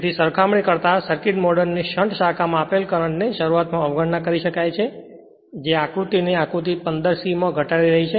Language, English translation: Gujarati, So, in comparison the exciting current in the shunt branch of the circuit model can be neglected at start reducing the circuit to the figure 15 C